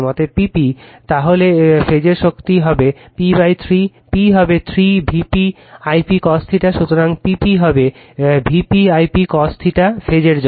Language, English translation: Bengali, Therefore, P p is equal to then for phase power will be p by 3, p was 3 V p I p cos theta, so P p will be V p I p cos theta for phase right